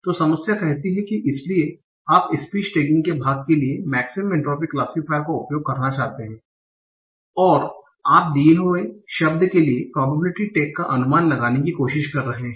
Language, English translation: Hindi, So the problem says, so you want to use maximum entry model for part of speech tagging, and you are trying to estimate probability tag given word